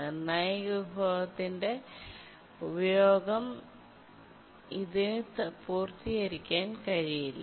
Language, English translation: Malayalam, It cannot really complete its uses of the critical resource